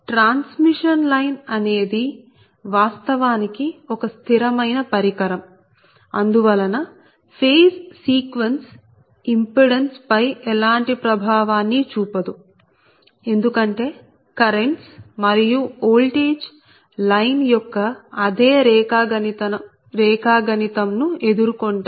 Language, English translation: Telugu, so transmission line actually is a static device and hence the phase sequence has no effect on the impedance because currents and voltage encounter the same geometry of the line